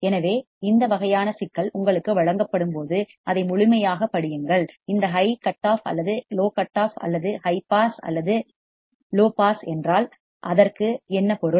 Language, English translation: Tamil, So, when you are given this kind of problem just read it thoroughly, if it is this high cut or is it low cut or is it high pass or is it low pass